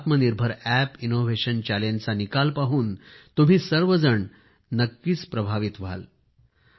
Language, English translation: Marathi, You will definitely be impressed on seeing the results of the Aatma Nirbhar Bharat App innovation challenge